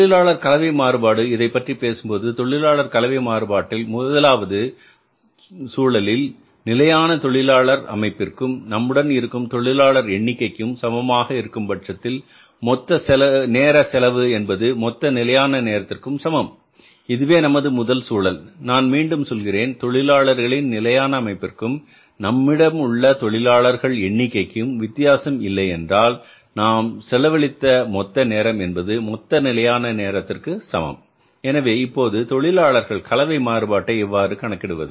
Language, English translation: Tamil, And if you talk about the labor mix variance in that case the first situation is if there is no change in this standard composition of labor if there is no change in this standard composition of the labor force and the total time spent and the total time spent is equal to the total standard time this is the first situation I repeat it if there is no change in the standard composition of the labor force and total time spent is equal to the total standard time